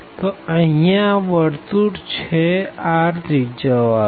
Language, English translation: Gujarati, So, this is the circle is r is equal to 2